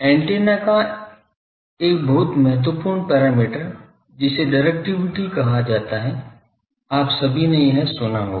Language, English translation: Hindi, Very important parameter of antenna called Directivity ; all of you may have heard this